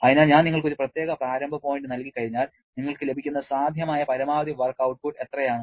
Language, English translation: Malayalam, Therefore, once I have given you one particular initial point, then what is the maximum possible work output that you can get